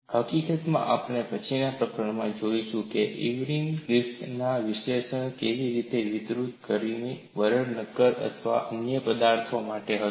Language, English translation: Gujarati, In fact, we would look up later in the chapter, how Irwin extended the analysis of Griffith which was applicable to brittle solids to ductile solids